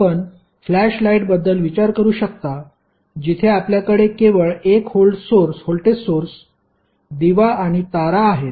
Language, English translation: Marathi, You can think of like a flash light where you have only 1 voltage source and the lamp and the wires